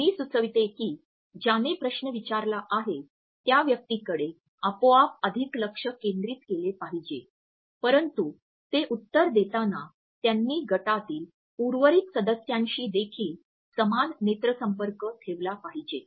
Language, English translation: Marathi, I would suggest that one should focus automatically more on the person who has asked the question, but while they are answering they should also maintain an equal eye contact with the rest of the team members also